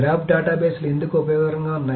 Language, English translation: Telugu, So why are graph databases useful